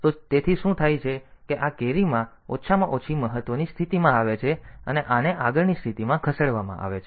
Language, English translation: Gujarati, So, what happens is that this carry comes to the least significant position and this one get shifted to the next position